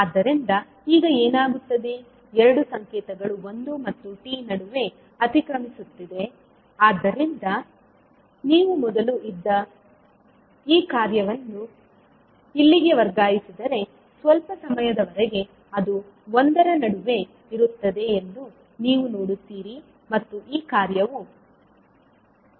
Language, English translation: Kannada, So what will happen now the two signals will overlap between one to t so if you are shifting this function which was earlier here further then you will see that for some time that is between one to t these function will overlap, right